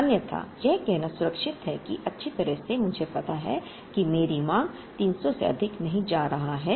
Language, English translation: Hindi, Otherwise, it is safe to say that well I know that my demand is not going to exceed 300